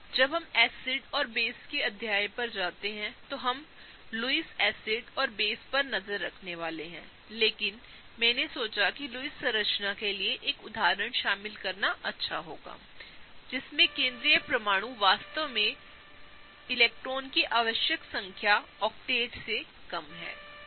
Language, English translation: Hindi, We are also gonna look over Lewis acids and bases when we go over the chapter of Acids and bases, but I thought it would be good to include an example for a Lewis structure, wherein the central atom is actually short of the required number of electrons for the octet, okay